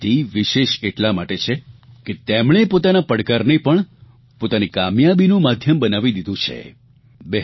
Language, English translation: Gujarati, Her achievement is all the more special because she has made the imposing challenges in her life the key to her success